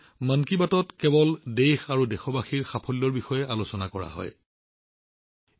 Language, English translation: Assamese, People have appreciated the fact that in 'Mann Ki Baat' only the achievements of the country and the countrymen are discussed